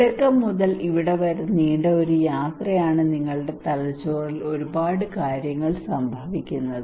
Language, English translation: Malayalam, It is a long journey from starting to here there are lot of things are happening in your brain right